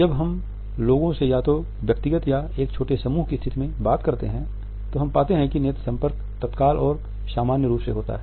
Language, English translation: Hindi, Whenever we talk to people either in a dyadic situation or in a small group situation, we find that simultaneous and immediate eye contact is normally there